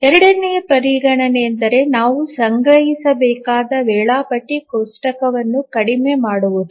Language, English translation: Kannada, The second consideration is minimization of the schedule table that we have to store